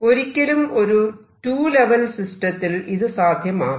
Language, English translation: Malayalam, So, in two level system I cannot do that